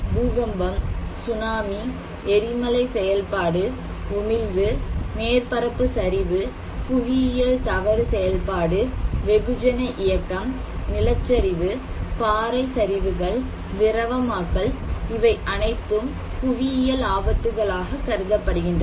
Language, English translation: Tamil, They are like earthquake, tsunami, volcanic activity, emissions, surface collapse, geological fault activity, mass movement, landslide, rock slides, liquefactions, all are considered to be geological hazards